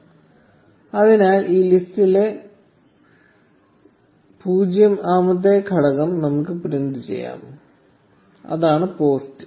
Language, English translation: Malayalam, So let us print the 0th element of this list, which is the post